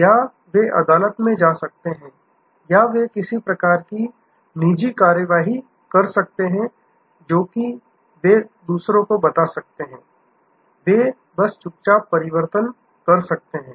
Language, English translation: Hindi, Or, they can go to court or they can take some kind of private action, which is that, they can tell others, they can just quietly switch